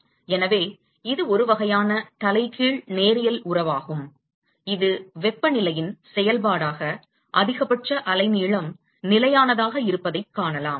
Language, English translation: Tamil, So, that is the sort of inverse linear relationship that actually one would find that the maximum wavelength as a function of temperature it seems to remain a constant